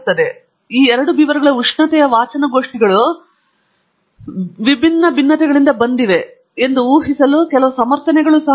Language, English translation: Kannada, So, there is some justification to the assumption that we are making that is the temperature readings of these two beavers have come from different variability